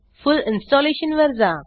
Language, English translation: Marathi, Go for full Installation